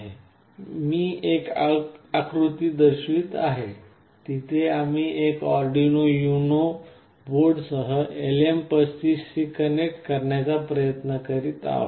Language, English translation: Marathi, Here I am showing a diagram where with an Arduino UNO board we are trying to connect a LM35